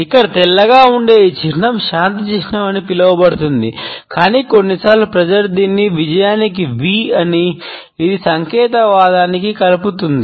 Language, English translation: Telugu, This symbol here is mostly white known as the peace sign, but sometimes people say it means V for victory; also it does connect to signism